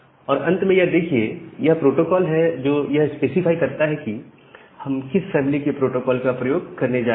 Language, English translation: Hindi, And finally, the protocol specifies the protocol family that we are going to use